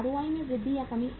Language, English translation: Hindi, Increase or decrease in ROI